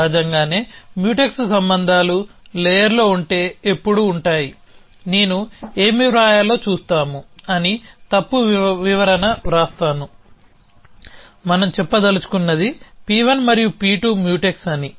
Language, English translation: Telugu, Obviously, Mutex relations are always within the layer if there is, I will just write a wrong explanation that we see what to write, what we want to say is that P 1 and P 2 are Mutex